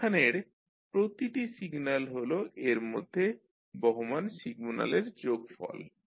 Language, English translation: Bengali, Now each signal here is the sum of signals flowing into it